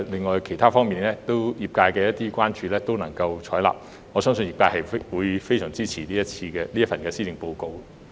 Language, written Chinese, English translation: Cantonese, 在其他方面，特首亦採納了業界的建議，我相信業界會非常支持這份施政報告。, As the Chief Executive has also accepted the suggestions of the trade in other areas I believe this Policy Address will gain strong support from industry